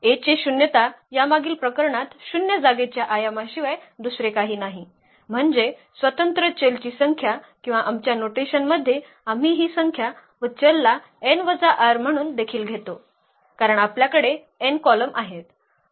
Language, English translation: Marathi, The nullity of A is nothing but the dimension of the null space which was 2 in the this previous case, meaning the number of free variables or in our notation we also take this number of free variables as n minus r, because we have n columns and the r are the rows where we have the pivots